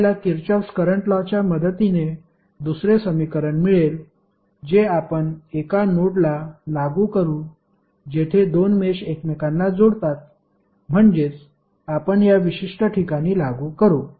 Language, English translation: Marathi, We will get the second equation with the help of Kirchhoff Current Law which we will apply to a node where two meshes intersect that means we will apply at this particular point